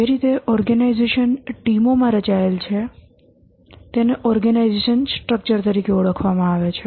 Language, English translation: Gujarati, The way the organization is structured into teams is called as the organization structure